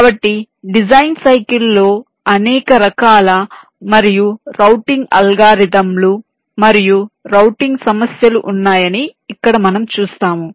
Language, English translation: Telugu, so here we shall see that there are many different kinds and types of routing algorithms and routing problems involved in the design cycle